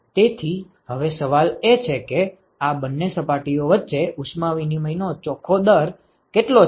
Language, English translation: Gujarati, So, now, the question is, what is the net rate of heat exchange between these two surfaces